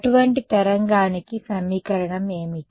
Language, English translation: Telugu, What is the equation for such a wave